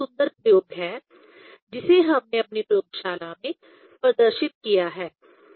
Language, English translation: Hindi, This is the beautiful experiment we have demonstrated in our laboratory